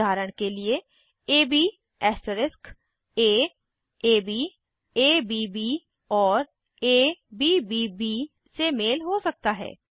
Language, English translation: Hindi, For example ab asterisk can match a,ab,abb,abbb etc